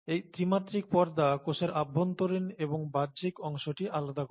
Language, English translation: Bengali, And this membrane in three dimensions, separates the intracellular the extracellular